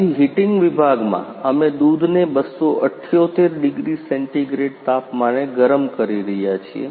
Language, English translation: Gujarati, Hence in the heating section, we are heating the milk 278 degree centigrade